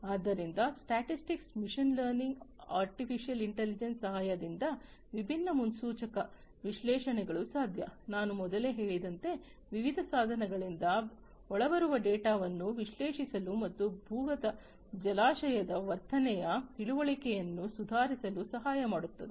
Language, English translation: Kannada, So, different predictive analytics with the help of statistics machine learning artificial intelligence, as I said before can be used to analyze the incoming data from different devices and helping in improving the understanding of the behavior of the underground reservoir